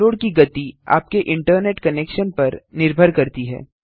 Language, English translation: Hindi, The download speed depends on your internet connection